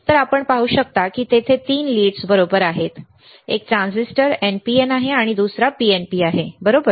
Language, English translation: Marathi, So, you can see there are three leads right, one transistor is NPN another one is PNP, right